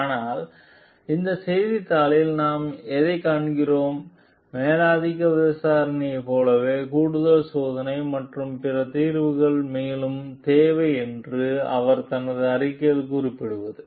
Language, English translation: Tamil, But what we find this newspaper has and what she has stated in her report that additional testing and other solutions are required further, like further investigation